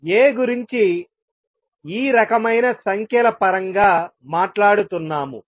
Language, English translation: Telugu, This is the kind of number that we are talking about A